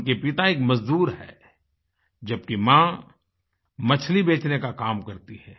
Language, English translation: Hindi, Her father is a labourer and mother a fishseller